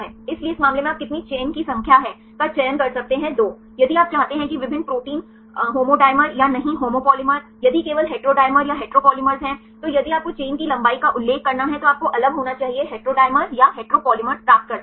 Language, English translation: Hindi, If you want to have the different proteins not the homodimer or a homopolymer, if only heterodimers or heteropolymers then if you have to mention the chain length should be different then you can get the heterodimers or heteropolymers right